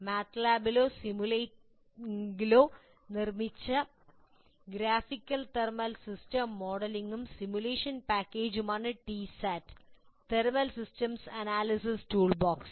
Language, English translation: Malayalam, T SAT thermal systems analysis toolbox, an open source system is a graphical thermal system modeling and simulation package built in MATLAB or simulink